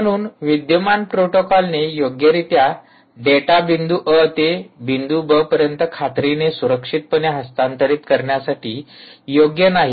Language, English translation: Marathi, here, therefore, the existing protocols are not suitable to ensure that securely data can be transferred from point a to point b without the human in the loop